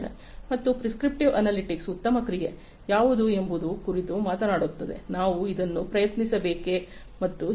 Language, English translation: Kannada, And prescriptive analytics talks about what is the best action, should we try this and so on